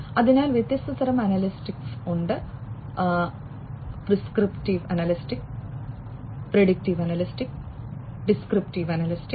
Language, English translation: Malayalam, So, there are different types of analytics prescriptive analytics, predictive analytics, and descriptive analytics